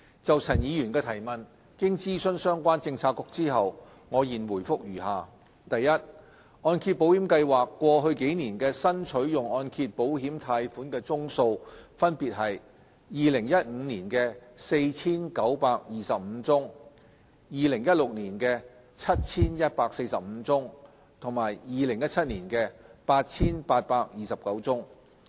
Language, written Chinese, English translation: Cantonese, 就陳議員的質詢，經諮詢相關政策局後，我現回覆如下：一按保計劃過去幾年的新取用按揭保險貸款宗數分別為2015年的 4,925 宗、2016年的 7,145 宗和2017年的 8,829 宗。, Having consulted the relevant bureaux my reply to various parts of the question raised by Mr CHAN Chun - ying is as follows 1 The numbers of loans drawn down under MIP of HKMC in the past few years were 4 925 for 2015 7 145 for 2016 and 8 829 for 2017 respectively